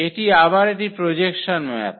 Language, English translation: Bengali, This again its a projection map